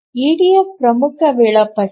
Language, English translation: Kannada, EDF is an important scheduler